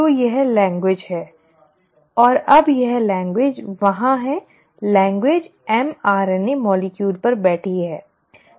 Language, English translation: Hindi, So that is the language, and now that language is there in that language is sitting on the mRNA molecule